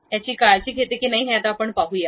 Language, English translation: Marathi, Let us see whether that really takes care of it or not